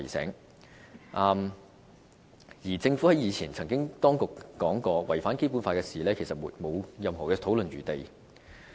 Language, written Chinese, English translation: Cantonese, 此外，政府當局以前也曾說過，任何違反《基本法》的事情都是沒有討論餘地的。, The Secretariat has indeed reminded us of the risk while the Government has also dismissed any room for discussion for issues in contravention with the Basic Law